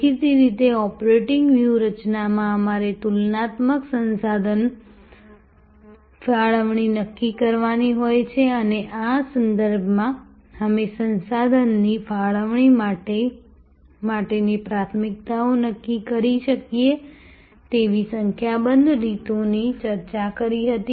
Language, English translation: Gujarati, Obviously, in operating strategy we have to decide the comparative resource allocation and in this respect, we had discussed number of ways we can decide upon the priorities for resource allocation